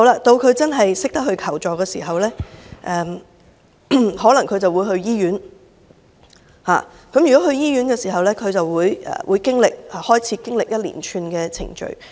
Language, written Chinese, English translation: Cantonese, 到她真的懂得求助時，她可能會到醫院，而如果她到醫院，她便要經歷一連串的程序。, When she really knows how to seek help she may go to the hospital . But then if she goes to the hospital she will have to go through a series of procedures